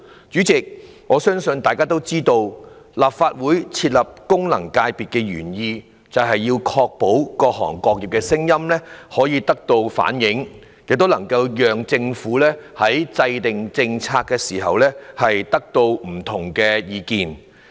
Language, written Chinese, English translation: Cantonese, 主席，大家也知道，立法會設立功能界別的原意是確保各行各業的聲音可以得到反映，也能夠讓政府在制訂政策時，得到不同的意見。, President as we all know the original intent of establishing FCs in the Legislative Council was to ensure that different industries could voice their views for the consideration of the Government in formulating policies